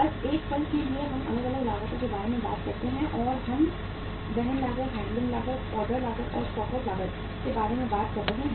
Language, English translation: Hindi, Just for a moment let us talk about the different costs and we are talking about the carrying cost, handling cost, ordering cost, and the stock out cost